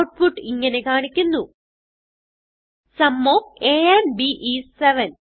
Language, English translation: Malayalam, The output is displayed as, Sum of a and b is 7